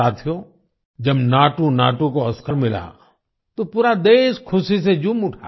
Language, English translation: Hindi, Friends, when NatuNatu won the Oscar, the whole country rejoiced with fervour